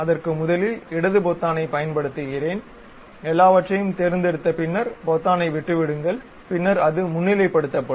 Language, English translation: Tamil, So, first of all I have selected you use left button, click that hold select everything, then leave the button then it will be highlighted